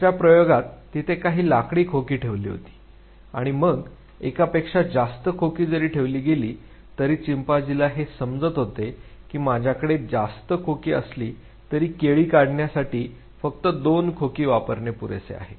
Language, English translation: Marathi, Other cases were some crates where keep in the wooden crates where kept there and then although multiple crates where kept, the chimpanzee could sense that although I have an excess to two crates only two crates are sufficient to reach the height where the banana is hanging